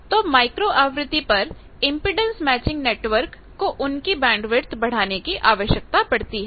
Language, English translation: Hindi, So, impedance matching network in micro frequencies they need to also increase their bandwidth